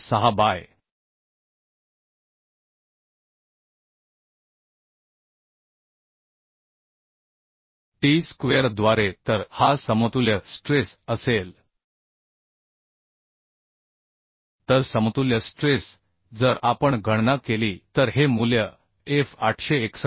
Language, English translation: Marathi, 6 by t square so this will be the equivalent stress So equivalent stress if we calculate will get this value as fe as 861